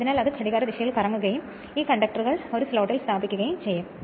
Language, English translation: Malayalam, So, it will rotate in the clockwise direction and this conductors are placed in a slots